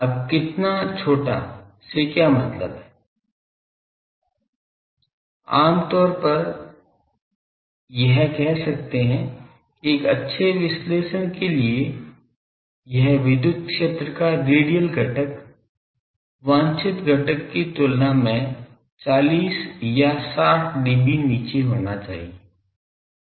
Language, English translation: Hindi, Now, how much, what is mean by small usually, we can say that for a good analysis this radial component of electric field should be 40 or 60 dB down than the desired component